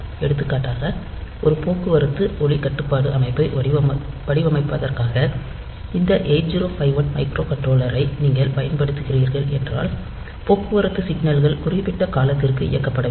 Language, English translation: Tamil, For example, if you are employing this 8051 microcontroller for designing one traffic light controlling system, so then the traffic signals are to be on for certain periods of time